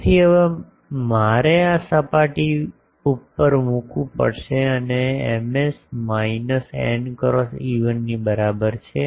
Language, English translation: Gujarati, So now there will be I will have to put over this surface and Ms is equal to minus n cross E1